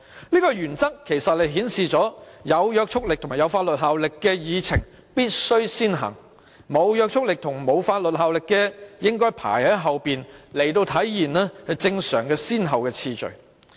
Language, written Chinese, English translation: Cantonese, 這個原則其實顯示有約束力及法律效力的議項必須先行處理，沒約束力及法律效力的應該排在後，以體現正常的先後次序。, Actually under this principle binding motions with legislative effect should first be dealt with whereas non - binding motions with no legislative effect should be dealt with later so as to reflect the normal order of priority